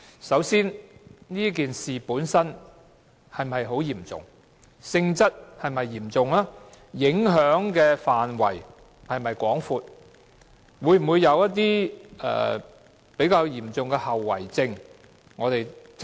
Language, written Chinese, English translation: Cantonese, 首先，事件本身是否很嚴重，其性質是否嚴重，影響範圍是否廣泛，事件會否帶來嚴重的後遺症。, First are the incident and its nature serious? . Is the impact extensive? . Will the incident lead to any serious consequences?